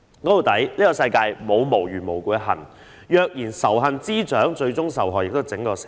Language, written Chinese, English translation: Cantonese, 說到底，世界上沒有無緣無故的恨，若任由仇恨滋長，最終受害的是整體社會。, After all in this world there can be no hatred without a cause and by spreading hatred our society as a whole will ultimately suffer